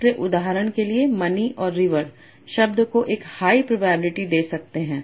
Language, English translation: Hindi, So for example money and river can give high probability to the word